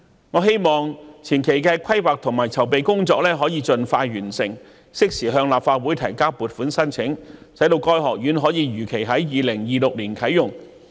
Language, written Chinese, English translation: Cantonese, 我希望前期的規劃和籌備工作可以盡快完成，適時向立法會提交撥款申請，使該學院可以如期在2026年啟用。, I hope that the preliminary planning and preparation can be completed as soon as possible to facilitate timely submission to the Legislative Council for funding application so that the college can be commissioned in 2026 as planned